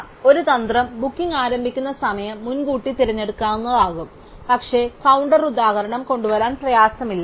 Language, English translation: Malayalam, So, one strategy might be to choose the booking whose start time is earliest, but it is not difficult to come up with the counter example